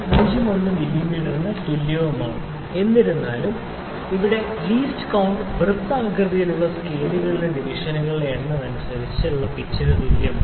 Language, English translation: Malayalam, 01 mm however, the general relationship here is the least count is equal to pitch by number of divisions on circular scale